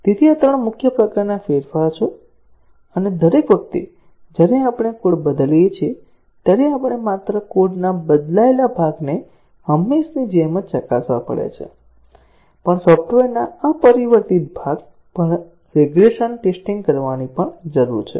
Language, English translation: Gujarati, So, these are 3 main types of changes; and each time we change the code, not only we have to test the changed part of the code as usual, but also we need to carry out regression testing on the unchanged part of the software